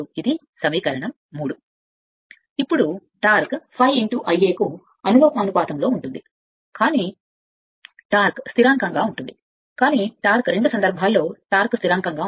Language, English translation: Telugu, Now, torque is given that proportional to phi into I a, but torque remain constant, but torque both the cases torque remain constant